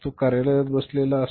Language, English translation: Marathi, He is sitting in the office